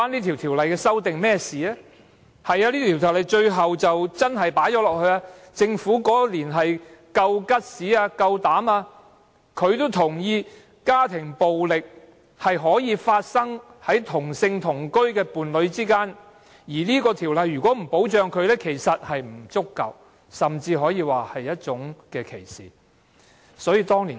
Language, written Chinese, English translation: Cantonese, 條例最終真的加入了這一項，政府當年有膽量這樣做，認同家庭暴力可以發生在同性同居伴侶之間，若這條例不予以保障，對他們的保障不足，甚至可說歧視他們。, Back then the Government had the courage to include this relationship in DCRVO . It recognized that domestic violence can happen between same - sex cohabitation partners and that they would be afforded inadequate protection or even subjected to discrimination if they were not covered by DCRVO